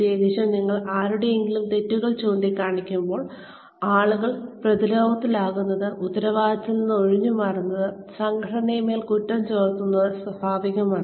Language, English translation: Malayalam, Especially, when you are pointing out, somebody's mistakes, people will, it is natural for anyone, to get defensive, to shrug off the responsibility, to pin the blame, on the organization